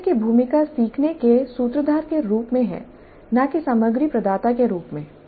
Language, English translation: Hindi, Role of instructor is as a facilitator of learning and not as provider of content